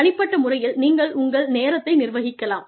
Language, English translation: Tamil, At the individual level, you could manage your time